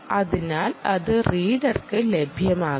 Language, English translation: Malayalam, essentially, this is the reader